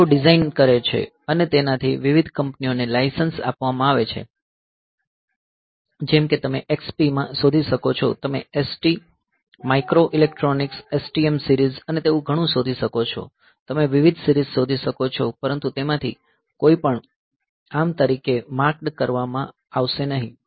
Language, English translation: Gujarati, They do the design and that design is licensed to various other companies, like you can find in XP, you can find say ST microelectronics STM series and all that, you can find different series, but none of them will be marked as ARM